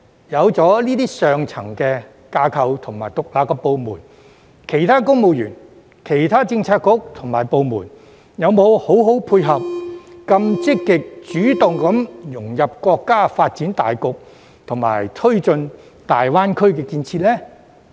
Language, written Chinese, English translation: Cantonese, 有了這些上層架構及獨立部門，其他公務員、政策局及部門有否好好配合，以便更積極主動地融入國家發展大局，以及推進大灣區建設呢？, With such an upper structure and independent departments have other civil servants Policy Bureaux and departments coordinated well with it so as to integrate Hong Kong into the overall development of the country more proactively and take forward the development of GBA?